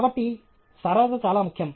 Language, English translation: Telugu, Therefore, simplicity is very important